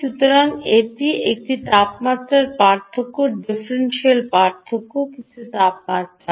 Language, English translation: Bengali, so you can see as the temperature differential, ah difference in temperature